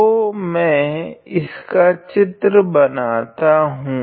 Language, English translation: Hindi, So, let me just draw the figure